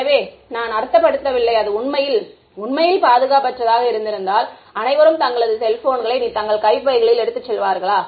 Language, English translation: Tamil, So, there it is not I mean if it were really really unsafe known would be carrying cell phones in their pockets anymore